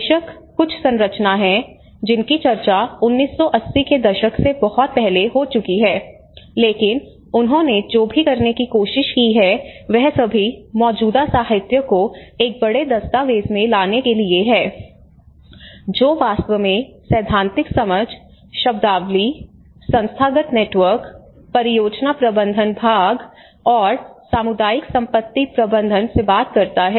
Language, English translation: Hindi, Of course, there are been some frameworks which has been discussed much earlier from 1980s but what he tried to do is he tried to bring all of the current literature into 1 big document which actually talks from the theoretical understanding, the terminologies, the institutional networks, and the project management part of it, and the community asset management